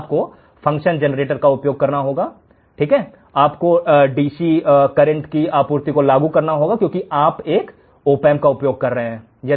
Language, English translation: Hindi, You have to use function generator, you have to apply a dc power supply because you are using an opamp